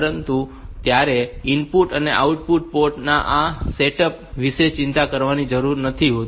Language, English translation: Gujarati, So, you do not need to bother about the setting up of input and output port